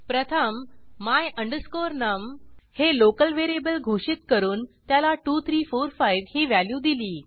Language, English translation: Marathi, First, I declare a local variable my num and assign the value 2345 to it